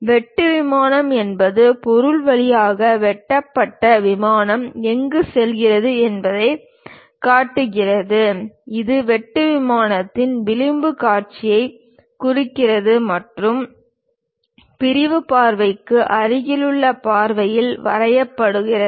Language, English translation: Tamil, A cut plane line is the one which show where the cut plane pass through the object; it represents the edge view of the cutting plane and are drawn in the view adjacent to the sectional view